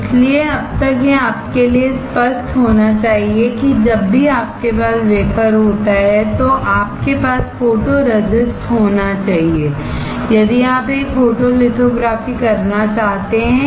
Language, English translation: Hindi, So, until now it should be clear to you that whenever you have a wafer you have to have photoresist, if you want to do a photolithography